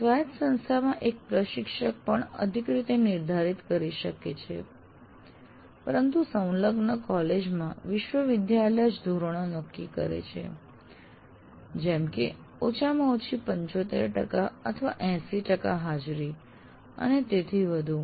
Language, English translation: Gujarati, In an autonomous college, one can, an instructor can also additionally stipulate, but in an affiliated college, it is a college or university decides the norms, like minimum 75% attendance or 80% attendance, and so on